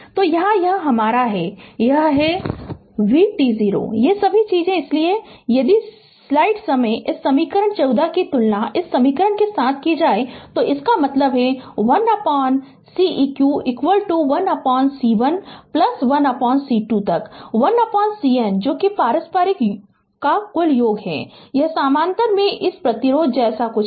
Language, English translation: Hindi, So, here it is your that is your v t 0 is equal to all these thing therefore, if you compare this equation 14 with equation your ah with this equation right so; that means, 1 upon Ceq is equal to 1 upon C 1 plus 1 upon C 2 up to 1 upon C N that is all summation of reciprocal it is something like this when we are obtaining ah your resistance in parallel